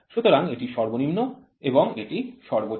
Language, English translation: Bengali, So, this is minimum and this is maximum